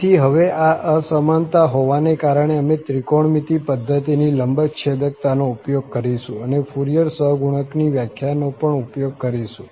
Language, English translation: Gujarati, So, having this inequality now, what we will make use of the orthogonality of the, of the trigonometric system and also the definition of the Fourier coefficients